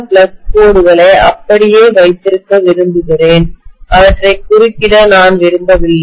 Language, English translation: Tamil, I want to have the flux lines intact I do not want to interrupt them